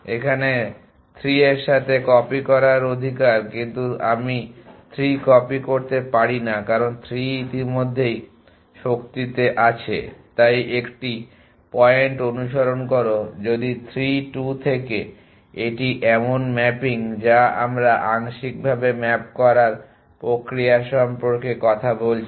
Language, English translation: Bengali, copy 3, because 3 is already in might to so a follow the point if from 3 2 this is the mapping that we a talking about partially mapped process